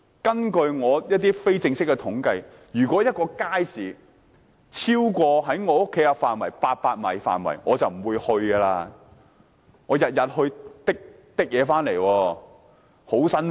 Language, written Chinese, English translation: Cantonese, 根據我非正式的統計，如果一個街市距離家居超過800米，居民便不會前往，因為每天提着餸菜返家是很辛苦的。, According to an informal survey done by me when a public market is 800 m from a household the residents will not visit it for it is hard to carry bags of food home every day